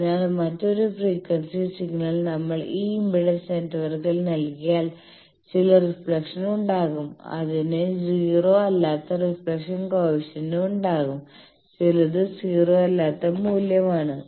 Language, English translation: Malayalam, So, if in at other frequency signal if we give to this impedance network there will be some reflections there will be reflection coefficient that is not 0 that is some non 0 value